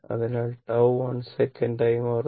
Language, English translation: Malayalam, So, it is becoming 1 second